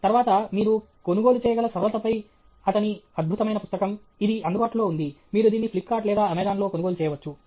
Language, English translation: Telugu, Then his brilliant book on simplicity you can buy; it is available; you can buy it on Flipkart or Amazon